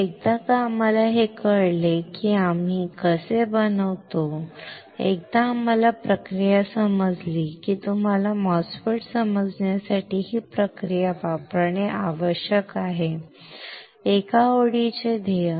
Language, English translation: Marathi, So, that once we know how we fabricate, once you understand process you need to use this process to understand MOSFET; one line goal